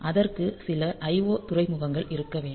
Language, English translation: Tamil, So, there must be some IO ports